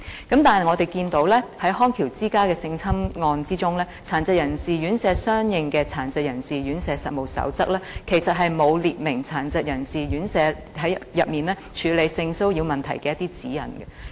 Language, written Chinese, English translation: Cantonese, 然而，我們看到在康橋之家的性侵案之中，與殘疾人士院舍營辦有關的《殘疾人士院舍實務守則》其實沒有訂明院舍處理性騷擾問題的指引。, However we note from the case of sexual assault at Bridge of Rehabilitation that the Code of Practice for Residential Care Homes relating to the operation of RCHDs in fact does not set out any guidelines on handling sexual harassment in care homes